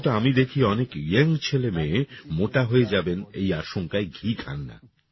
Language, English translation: Bengali, But I see that many young boys and girls do not eat ghee because they fear that they might become fat